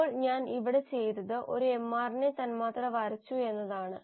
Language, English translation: Malayalam, So what I have done here is I have drawn a mRNA molecule